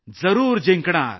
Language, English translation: Marathi, And we will win